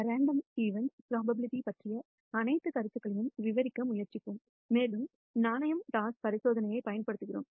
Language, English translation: Tamil, Random phenomena we will try to describe all the notions of probability and so on using just the coin toss experiment